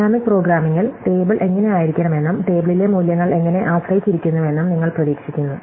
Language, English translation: Malayalam, In dynamic programming, you anticipate what the table should look like and how the values in the table depend on it